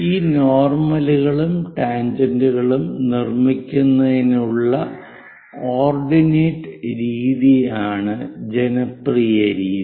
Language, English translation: Malayalam, And this is popular as ordinate method for constructing these normal's and tangents